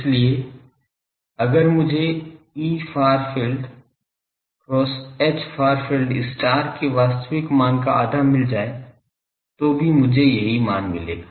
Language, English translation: Hindi, So, if I find half real E far field, cross H far field star that also would give me this same value